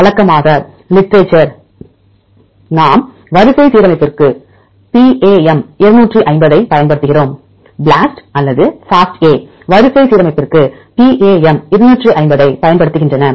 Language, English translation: Tamil, Usually, in the literature we use PAM 250 for the sequence alignment for example, BLAST or FASTA use PAM 250 for the sequence alignment